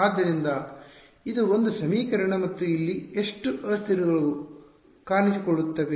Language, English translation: Kannada, So, this is one equation and how many variables will appear over here